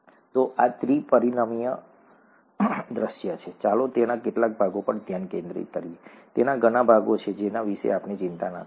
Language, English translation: Gujarati, So this is the three dimensional view, let us just focus on some parts of it; there are many parts to it which let us not worry about